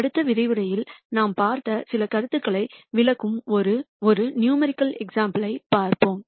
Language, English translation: Tamil, In the next lecture we will look at a numerical example that illustrates some of the ideas that we have seen